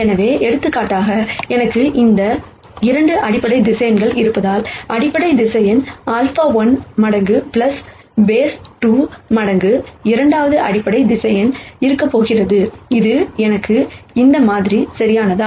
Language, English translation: Tamil, So, for example, since I have 2 basis vectors here, there is going to be some number alpha 1 times the basis vector, plus alpha 2 times the second basis vector, which will give me this sample right